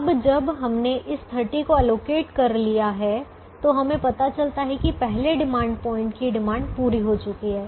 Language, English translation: Hindi, now, once we have allocated this thirty, we realize that the entire demand of the first demand point has been met